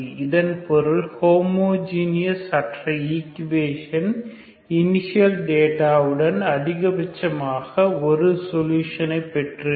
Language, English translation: Tamil, So this means non homogeneous equation this one the non homogeneous equation with the initial data has at most one solution